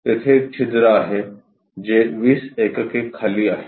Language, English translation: Marathi, There is a hole which is at 20 units down